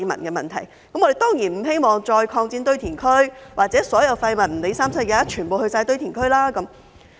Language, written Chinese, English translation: Cantonese, 我們當然不希望再擴展堆填區，或所有廢物不管甚麼也全部送去堆填區。, Certainly we do not wish to see any further extension of landfills or all waste going to landfills regardless of what it is